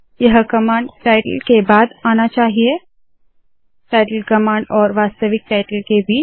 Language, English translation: Hindi, This should come after the command title, between the title command and the actual title